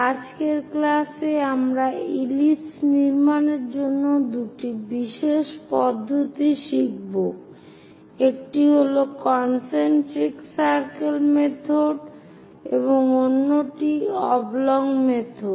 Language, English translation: Bengali, In today's class, we will learn two special methods to construct ellipse, one is concentric circle method, and other one is oblong method